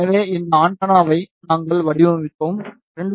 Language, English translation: Tamil, So, we designed this antenna for 2